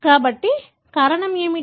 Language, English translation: Telugu, So, what could be the reason